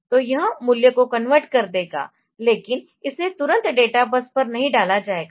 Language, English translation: Hindi, So, it will convert the value, but it will not put it on to the databus immediately